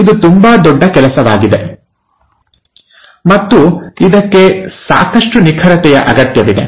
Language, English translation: Kannada, Now that is a lot of job and it requires a lot of precision